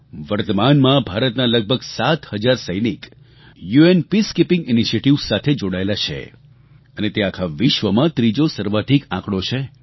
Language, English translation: Gujarati, Presently, about seven thousand Indian soldiers are associated with UN Peacekeeping initiatives which is the third highest number of soldiers from any country